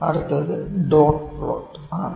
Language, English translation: Malayalam, And next is Dot Plot